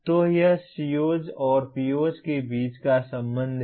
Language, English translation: Hindi, So that is the relationship between COs and POs